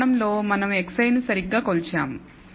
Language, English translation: Telugu, In the sense, we have measured x i exactly